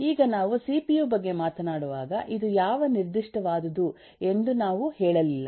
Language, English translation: Kannada, now when we have talked about a cpu we did not say which specific one is this